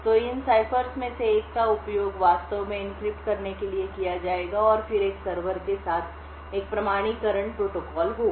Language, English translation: Hindi, So, one of these ciphers would be used to actually do encryptions and then there would be an authentication protocol with a server